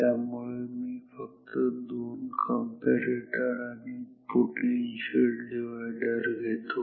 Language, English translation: Marathi, So, just I will take two comparators and one potential divider